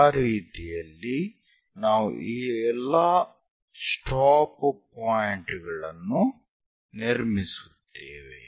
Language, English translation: Kannada, So, in that way, we will construct all these stop points